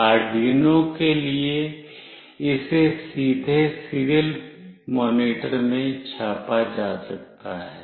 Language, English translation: Hindi, For Arduino it can be directly printed in the serial monitor